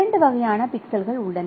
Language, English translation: Tamil, So, there are two types of pixels